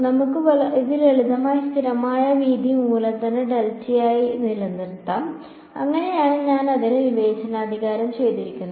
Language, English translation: Malayalam, Let us keep it simple constant width capital delta that is how I have discretized it